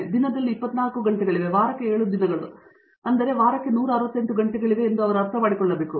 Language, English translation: Kannada, They need to understand that there are 24 hours a day, there are 7 days a week, 168 hours a week